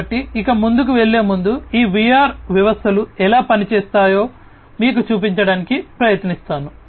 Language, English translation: Telugu, So, before going any further, let me just try to show you how overall how these VR systems are going to operate